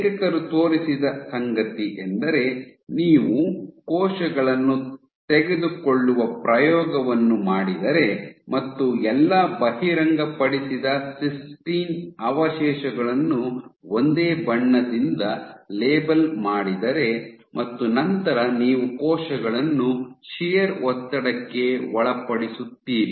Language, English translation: Kannada, So, what the authors showed, that if you do an experiment in which you take cells and you label all exposed cysteine, cysteine residues with one dye, and then you subject the cells to shear stress